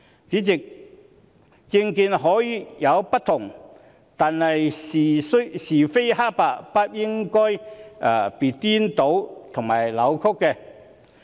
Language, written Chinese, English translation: Cantonese, 主席，政見可以有不同，但是非黑白不應被顛倒和扭曲。, Chairman political views may differ but right and wrong should not be confused or distorted